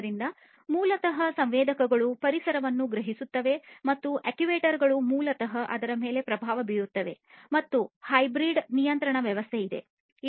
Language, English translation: Kannada, So, basically the sensors would sense the environment and these actuators will basically influence it and there is hybrid control system these are basically hybrid control systems for complex tasks